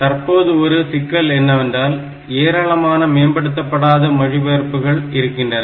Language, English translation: Tamil, Now the difficulty is that there are many scope of unoptimized translation